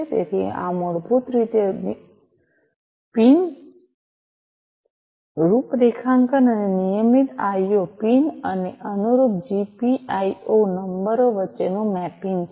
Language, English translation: Gujarati, So, this is the basically the pin configuration and the mapping between the regular IO pins and the corresponding GPIO numbers, right